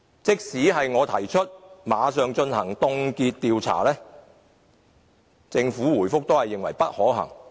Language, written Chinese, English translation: Cantonese, 即使我提出馬上凍結調查，政府在答覆中仍表示不可行。, It also says in the reply that my suggestion of immediately conducting freezing surveys unfeasible